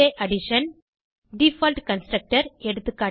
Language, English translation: Tamil, ~Addition Default Constructor